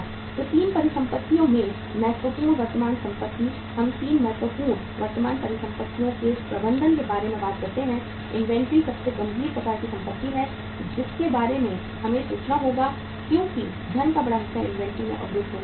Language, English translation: Hindi, So in the 3 assets, important current assets, we talk about the management of 3 important current assets, inventory is the most serious kind of the assets we will have to think about because larger chunk of the funds is going to be blocked in the inventory if you keep the inventory beyond the stipulated level